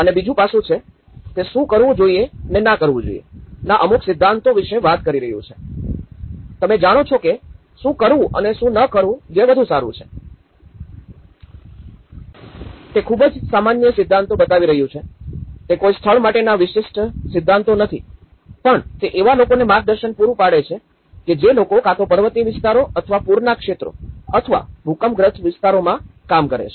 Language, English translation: Gujarati, And the second aspect is; it is talking about certain principles of do's and don'ts, you know what to do and what not to do which is better, it’s a very generic principles which is showing, it is not specific to the site but it will actually show some guidance to people working either on hilly areas or floodplain areas or an earthquake prone area so, it is sometimes it is also specific to a disaster